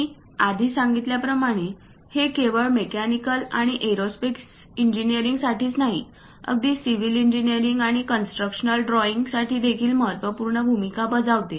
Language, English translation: Marathi, As I mentioned earlier it is not just for mechanical and aerospace engineering, even for a civil engineering and construction drawing plays an important role